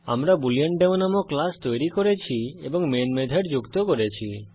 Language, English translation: Bengali, I have created a class BooleanDemo and added the Main method